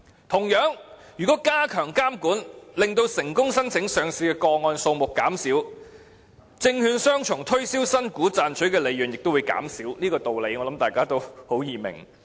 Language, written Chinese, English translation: Cantonese, 同樣地，如果加強監管，令成功申請上市的個案數目減少，證券商從推銷新股賺取的利潤亦會減少，這個道理相信很容易明白。, Similarly if regulation in this regard is enhanced so that the number of successful listing applications is reduced profits reaped by securities brokers in promoting subscription of new shares will also record a decline . This is something very easy for us to understand